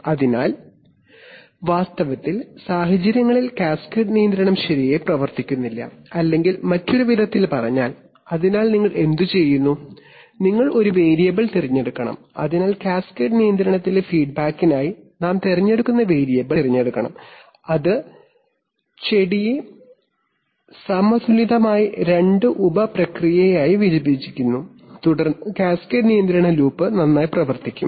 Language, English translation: Malayalam, So in fact situations cascade control does not work well or in other words this, so what do you do, so you have to choose a variable so the variable that we choose to feedback in cascade control should be very judiciously chosen, it should be chosen such that it divides the plant into two sub processes of balanced phases right, then the cascade control loop will actually work well